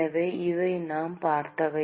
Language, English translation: Tamil, So, these are the things that we have seen